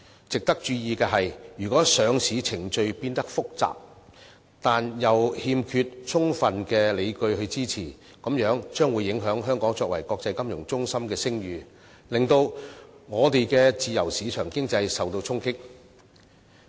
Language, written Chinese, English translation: Cantonese, 值得注意的是，如果上市程序變得複雜，但又欠缺充分理據支持，便會影響香港作為國際商業和金融中心的聲譽，令我們的自由市場經濟受到衝擊。, It should be noted that if the listing process is made complicated without any strong justifications Hong Kongs reputation as an international commercial centre and financial hub will be affected and our free market economy will also come under impact